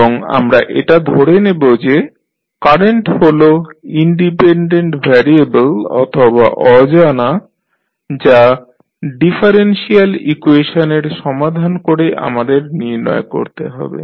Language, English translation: Bengali, And we will consider it that is current as a dependent variable or unknown which we need to determine by solving this differential equation